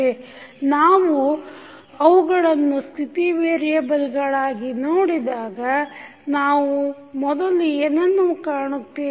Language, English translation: Kannada, So, when we see them as a state variable, what we can first find